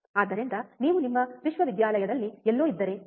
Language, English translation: Kannada, So, if you are somewhere in your university, right